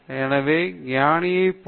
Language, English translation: Tamil, So, like wise